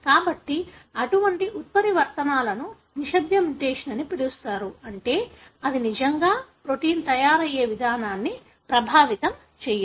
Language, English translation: Telugu, So, such mutations are called as silent mutation, meaning it does not really affect the way the protein is being made